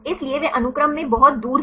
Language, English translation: Hindi, So, they are far away in the sequence